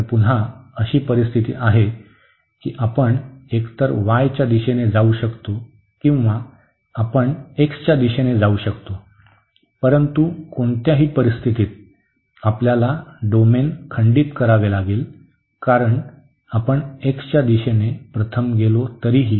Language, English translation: Marathi, So, again we have the situation that we can either go in the direction of y first or we go in the direction of x first, but in either case we have to break the domain because even if we go first in the direction of x